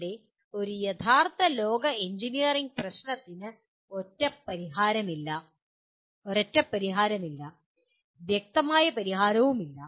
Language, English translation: Malayalam, Here a real world engineering problem does not have a single solution and also not an obvious solution